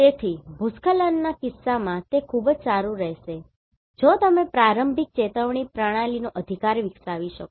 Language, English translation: Gujarati, So, this is in the case of landslide for landslide it will be very good if you can develop a early warning system right